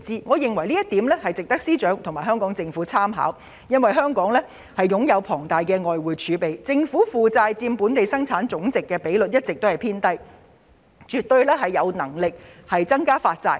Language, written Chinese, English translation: Cantonese, 我認為這項措施值得司長和香港政府參考，因為香港擁有龐大的外匯儲備，政府負債佔本地生產總值的比率一直偏低，政府絕對有能力增加發債。, I think FS and the Hong Kong Government should take a cue from this measure . Given Hong Kongs abundant foreign exchange reserves and a consistently low debt - GDP ratio the Government definitely has the ability to increase its bond issuance